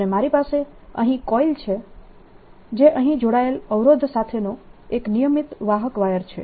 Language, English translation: Gujarati, and i have here a coil which is a regular conducting wire with a resistance connected here